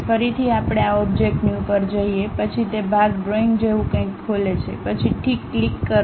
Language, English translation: Gujarati, Again first we go to this object New, then it opens something like a Part drawing, click then Ok